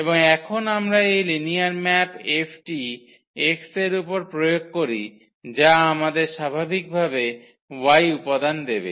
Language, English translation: Bengali, And now we apply this linear map F on x which will give us the element y naturally